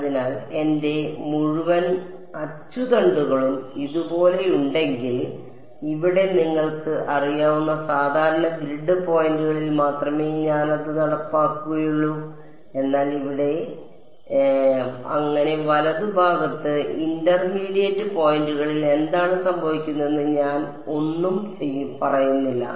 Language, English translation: Malayalam, So, if I had my whole axes like this r, I am only enforcing it at some you know regular grid of points over here, but I am not saying anything about what happens at intermediate points over here, here, here and so on right